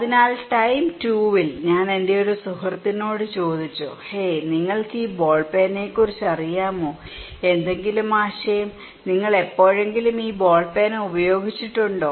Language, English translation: Malayalam, So, maybe in time 2, I asked one of my friend, hey, do you know about this ball pen, any idea, have you ever used this ball pen